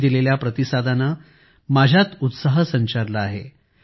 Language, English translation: Marathi, The response you people have given has filled me with enthusiasm